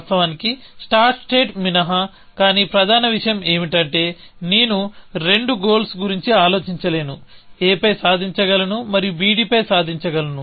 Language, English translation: Telugu, Of course, except for the start state is different, but the main point is that I cannot think of two goals, achieve on a b, and achieve on b d